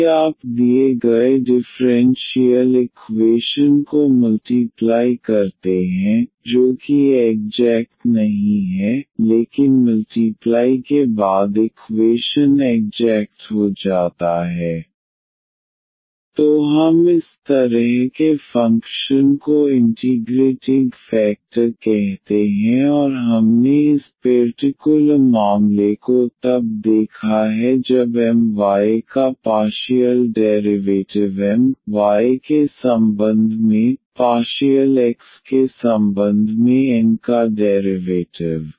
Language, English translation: Hindi, If you multiply to the given differential equation which is not exact, but after multiplication the equation becomes exact we call such a function as the integrating factor and we have seen this special case when M y the partial derivative of M with respect to y, partial derivative of N with respect to x